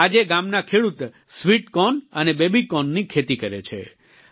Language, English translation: Gujarati, Today farmers in the village cultivate sweet corn and baby corn